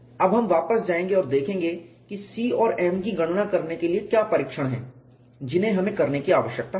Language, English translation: Hindi, Now, will go back and see what was the test that we need to do to calculate C and m